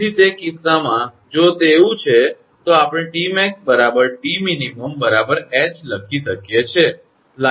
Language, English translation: Gujarati, So, in that case if it so, we can write T max is equal to T min approximately is equal to H